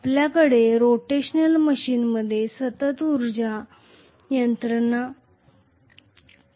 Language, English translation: Marathi, We are going to have continuous energy mechanism taking place in rotational machines